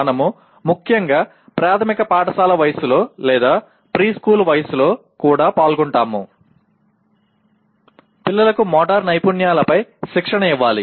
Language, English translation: Telugu, We are involved especially at primary school age or even preschool age one of the major things is the children will have to be trained in the motor skills